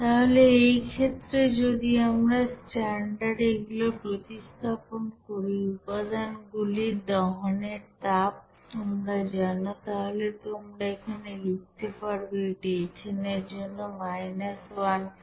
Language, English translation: Bengali, So in this case if we substitute the value of this standard you know heat of combustion for its constituents, then you can right here, this will be is equal to minus here 1559